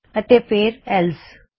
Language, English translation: Punjabi, and then else